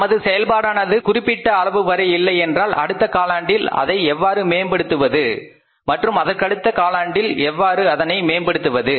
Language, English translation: Tamil, If that performance is not up to the mark how it can be improved in the next quarter and further how it can be improved in the next quarter